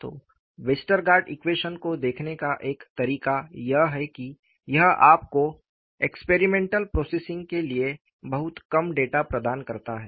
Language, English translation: Hindi, So, one way of looking at Westergaard solution is, it provides you very little data for experimental processing